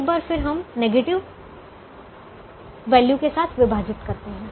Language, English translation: Hindi, once again, we divide only with negative values